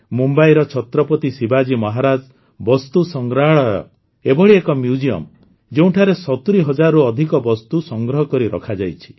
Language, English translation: Odia, Mumbai's Chhatrapati Shivaji Maharaj VastuSangrahalaya is such a museum, in which more than 70 thousand items have been preserved